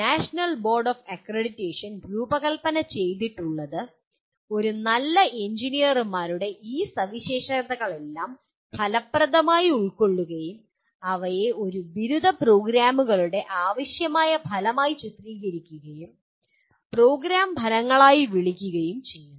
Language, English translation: Malayalam, What National Board of Accreditation has designed, has affectively absorbs all these characteristics of a good engineers and characterizes them as required outcomes of an undergraduate programs and calls them as program outcomes